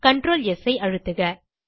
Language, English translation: Tamil, Press CTRL + S